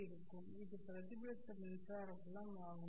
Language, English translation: Tamil, This is the reflected electric field